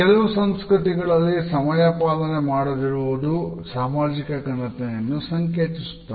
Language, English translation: Kannada, In some cultures we find that lack of punctuality is associated with our social prestige